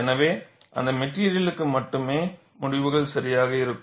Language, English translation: Tamil, So, only for those materials the results will be exact